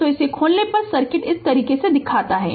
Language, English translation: Hindi, So, circuit looks like this if you open it